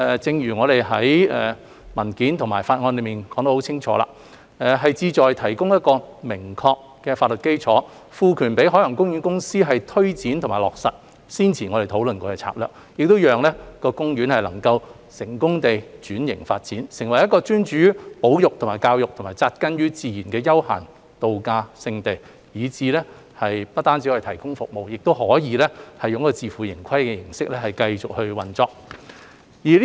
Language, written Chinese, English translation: Cantonese, 正如我們在文件和法案內已清楚闡明，修例的目的是提供明確法律基礎，賦權海洋公園公司推展和落實先前我們討論過的策略，讓公園能夠成功轉型發展，成為一個專注於保育和教育、扎根於自然的休閒度假勝地，以致不單可以提供服務，亦可以自負盈虧的形式繼續運作。, As we have made it clear in the paper and the Bill the purpose of the amendments is to provide a clear legal basis for empowering the Ocean Park Corporation OPC to take forward and implement the strategies we have discussed previously so that OP can be successfully transformed and developed into a travel destination with a focus on conservation and education grounded in nature so that it can provide services while continuing to operate on a self - sustainable basis . The content of the Bill involves amendments in five main areas . Firstly it introduces the conservation function to OP so that the legislation will unequivocally reflect that conservation will be a major focus of Ocean Park in the future